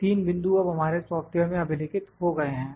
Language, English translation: Hindi, 3 points are now recorded in our software